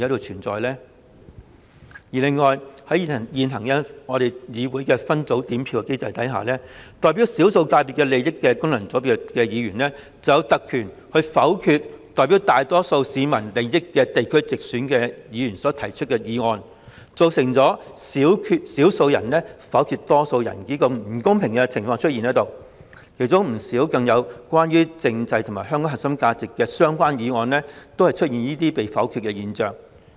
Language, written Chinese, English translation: Cantonese, 此外，在議會現行的分組點票機制下，代表少數界別利益的功能界別議員，卻有特權否決由代表大多數市民利益的地區直選議員所提出的議案，造成少數人否決多數人的不公平情況，更出現不少關於政制與香港核心價值的議案被否決的現象。, How could people not doubt the possibility of vote - rigging? . Furthermore under the current separate voting system of the Legislative Council FC Members representing the minority interests of sectors have the privilege to veto motions proposed by geographical constituency Members who represent the majority interests of the people thereby giving rise to the unfair situation of the minority vetoing the majority and even the situation of many motions concerning the constitutional matters and core values of Hong Kong being vetoed